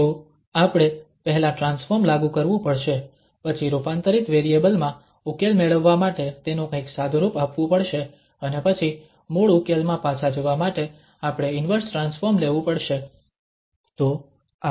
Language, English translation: Gujarati, So, we have to first apply the transform then somehow simplify it to get the solution in the transformed variable and then we have to take the inverse transform to get back to the original solution